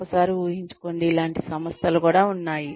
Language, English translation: Telugu, Just imagine, there are organizations like these